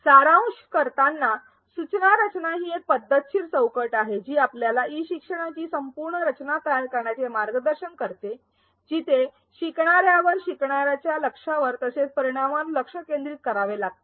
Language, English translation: Marathi, To summarize, instructional design is a systematic framework that guides us in the whole process of designing e learning, where the focus is on the learner and learning goals as well as a thought on the outcomes